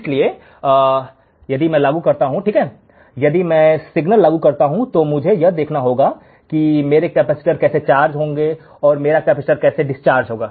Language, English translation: Hindi, So, if I apply this one right, if I apply the signal, I had to see how my capacitor will charge and how my capacitor will discharge